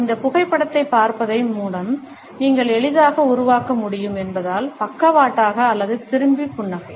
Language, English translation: Tamil, The sideways looking up or the turned away smile as you can easily make out by looking at this photograph